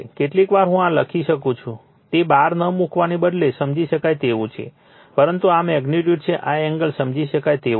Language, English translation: Gujarati, Sometimes I write like this it is understandable to you right rather than putting bar not but this is magnitude, this is angle understandable to you right